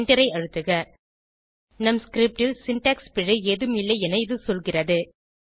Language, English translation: Tamil, Now press Enter This tells us that there is no syntax error in our script